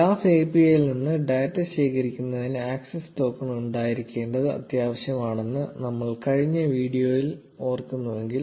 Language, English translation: Malayalam, If you recall in the last video we discussed that it is essential to have an access token in order to collect data from the graph API